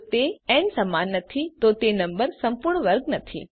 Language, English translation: Gujarati, If it is not equal to n, the number is not a perfect square